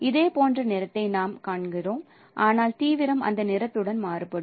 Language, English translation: Tamil, It is a kind of our we see the similar kind of color but no intensity varies with that color